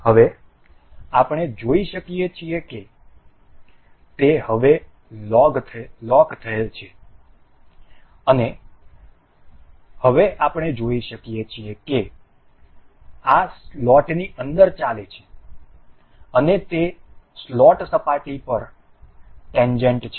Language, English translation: Gujarati, Now, we can see it is logged now, and now we can see this moving within the slot and it is tangent to see, it the slot surface